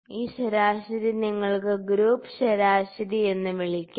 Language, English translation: Malayalam, This is average you can call it group average